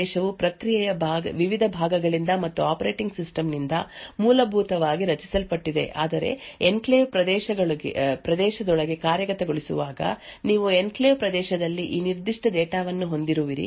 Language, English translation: Kannada, So recollect the slide where we actually discussed that the enclave region is essentially protected from the various other parts of the process as well as the operating system but however when executing within the enclave region that is you have a function within the enclave region this particular data could access anything in the user space of that particular process